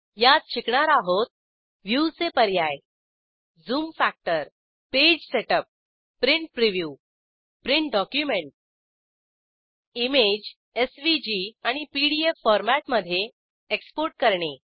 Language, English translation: Marathi, In this tutorial we will learn View options Zoom factor Page setup Print Preview Print a document Export an image as SVG and PDF formats